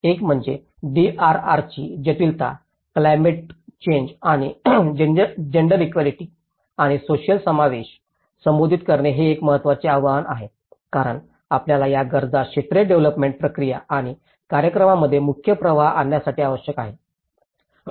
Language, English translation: Marathi, One is addressing the complexity of the DRR, the climate change and the gender equality and social inclusion that becomes one of the important challenge because we need to mainstream these needs into the sectoral development process and programs